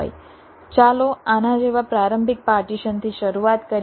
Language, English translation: Gujarati, lets start with an initial partition like this